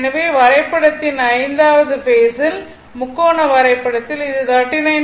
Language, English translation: Tamil, So, in the 5 th Phase in the diagram Triangle diagram we have seen this was 39